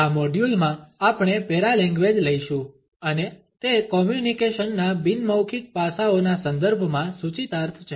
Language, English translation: Gujarati, In this module we would take up Paralanguage and it is connotations in the context of nonverbal aspects of communication